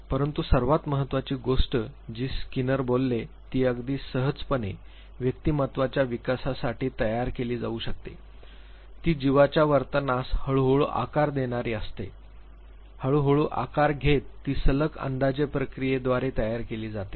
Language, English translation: Marathi, But the most important thing that skinner talks about which can very easily be mapped to development of persona is shaping, the behavior of the organism is gradually shaped it is molded through the process of successive approximation